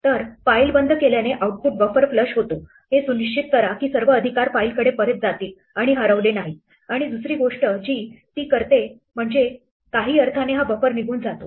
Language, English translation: Marathi, So, closing a file flushes the output buffer make sure that all rights go back to the file and do not get lost and the second thing it does is that it in some sense makes this buffer go away